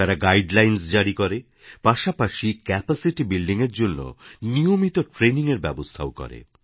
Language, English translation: Bengali, They have issued guidelines; simultaneously they keep imparting training on a regular basis for capacity building